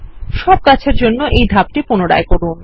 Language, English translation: Bengali, Repeat this step for all the trees